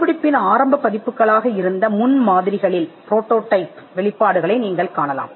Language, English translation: Tamil, You could find disclosures in prototypes which have been the initial versions of the invention itself